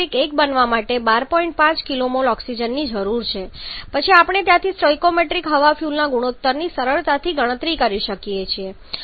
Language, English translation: Gujarati, 5 kilo mole of oxygen is required to form the stoichiometric one then we can from there you can easily calculate the stoichiometric air fuel ratio